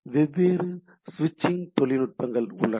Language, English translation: Tamil, So, what sort of switching techniques are there